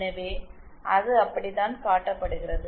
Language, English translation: Tamil, So, that is how it is shown